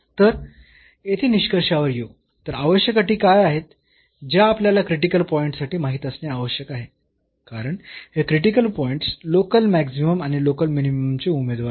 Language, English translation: Marathi, So, coming to the conclusion here, so what are the necessary conditions we need to know the critical points because, these critical points are the candidates for the local maximum and minimum